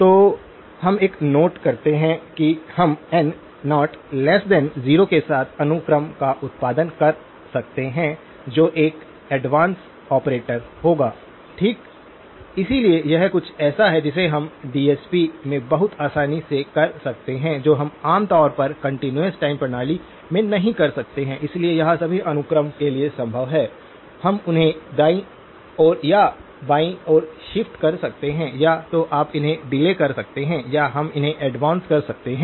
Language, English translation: Hindi, So, we do make a note that we can produce sequences with n naught less than 0 which would be an advance operator okay, so this is something that we can do very easily in DSP which we cannot do typically in a continuous time system, so this is feasible for all sequences, we can shift them forward to the right or to the left you can either delay them or we can advance them